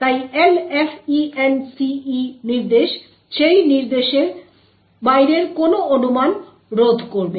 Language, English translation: Bengali, So, the LFENCE instruction would therefore prevent any speculation of beyond that instruction